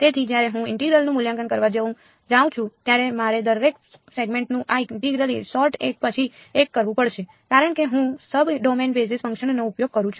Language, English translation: Gujarati, So, when I go to evaluate the integral I have to do this integration sort of each segment one by one ok, that is because I am using sub domain basis functions